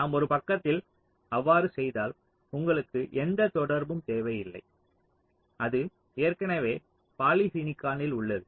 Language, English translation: Tamil, if you do that, so on one side you do not need any contact, it is already in polysilicon